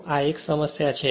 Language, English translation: Gujarati, So, this is the problem